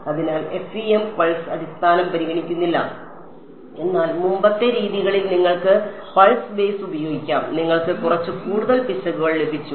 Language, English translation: Malayalam, So, FEM does not consider pulse basis at all whereas, you could use pulse basis in the earlier methods and you got little bit you got higher errors